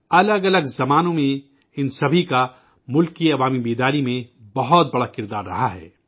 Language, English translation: Urdu, In different periods, all of them played a major role in fostering public awakening in the country